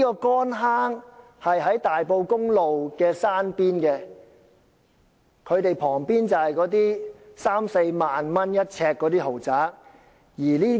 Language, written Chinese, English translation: Cantonese, 乾坑村位於大埔公路山邊，旁邊是一些三四萬元一呎的豪宅。, Kon Hang Village is situated on the hillside of Tai Po Road . On one side of the village there are luxury apartments priced at 30,000 to 40,000 per square foot